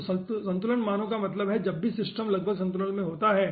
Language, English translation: Hindi, so equilibrium values means at whenever the system is almost in equilibrium